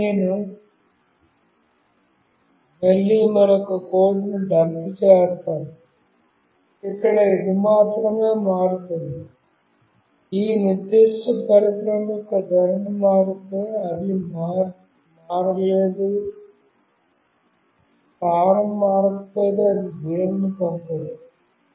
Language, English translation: Telugu, Now, I again dump another code, where only it will change, if the orientation of this particular device changes, it will not change or it will not send anything if the position does not change